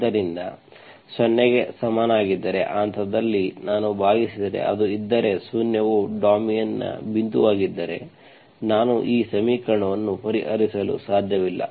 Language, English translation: Kannada, So if x equal to 0, at that point if I divide, if it is, if zero is a point of the domain, I cannot solve this equation